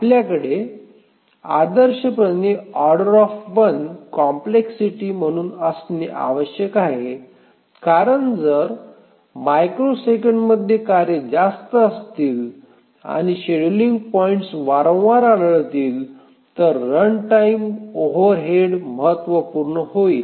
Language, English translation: Marathi, We should ideally have O1 as the complexity because if the tasks are more and the scheduling points occur very frequently every few microseconds or so, then the runtime overhead becomes significant